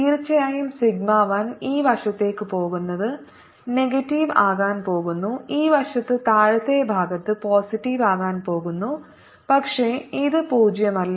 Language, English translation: Malayalam, suddenly, sigma one is going to be on this side, is going to be negative, and on this side is going to be positive and lower side, but it is non zero